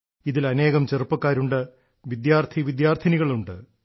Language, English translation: Malayalam, In that, there are many young people; students as well